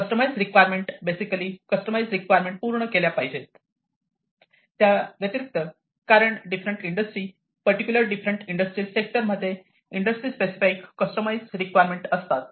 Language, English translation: Marathi, customised requirements, basically customized requirements will have to be fulfilled, in addition, to the because different industry, the particularly different industrial sectors have specific in, you know, customized requirements